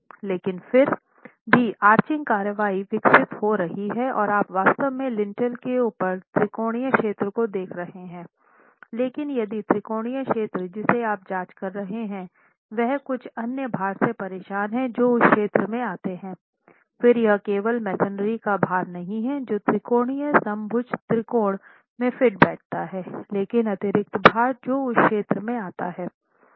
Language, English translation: Hindi, 5 requirement that we have so arching action will develop will develop but however arching action since arching action is developing you're actually looking at the triangular area above the lintel but if the triangular area that you're examining is disturbed by certain other loads that come into that region then it's not only the masonry load that fits into the triangular equilateral triangle, but the additional loads that come into that area